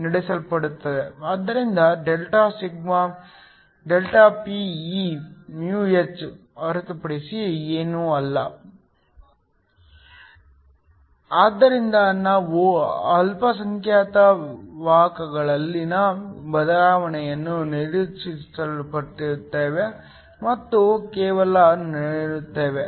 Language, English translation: Kannada, So, delta sigma is nothing but ΔPeμh, so we ignore the change in minority carriers and only look